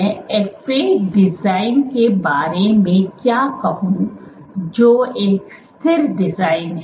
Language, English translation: Hindi, What can I say about the fixture design that is FA design